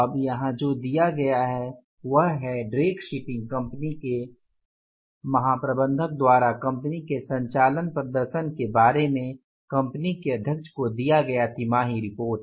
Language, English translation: Hindi, Now, what is given here is Drake Shipping Company's General Manager reports quarterly to the company's precedent on the firm's operating performance